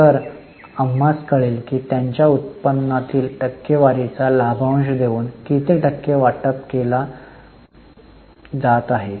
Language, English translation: Marathi, So, we come to know what percentage of their earning is being distributed by way of dividend